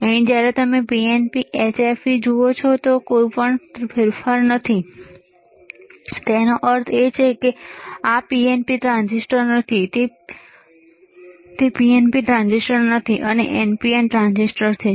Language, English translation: Gujarati, Here when you see PNP HFE there is no change right; that means, that this is not PNP transistor it is not an PNP transistor, and it is an NPN transistor